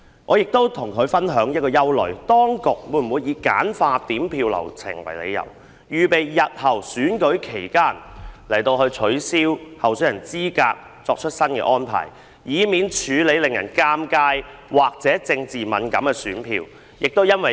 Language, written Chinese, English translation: Cantonese, 我曾向她表示憂慮，當局會否以簡化點票流程為理由，為日後在選舉期間取消候選人資格作出安排，以避免處理令人尷尬或政治敏感的選票。, I have expressed my concern to her whether the authorities will make arrangements to disqualify candidates during elections under the pretext of streamlining the counting process so as to obviate the need of dealing with embarrassing or politically sensitive votes